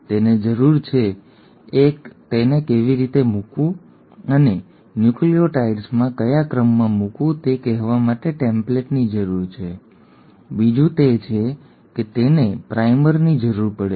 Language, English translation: Gujarati, It needs, one it needs a template to tell how to put in and in what sequence to put in the nucleotides, the second is it requires a primer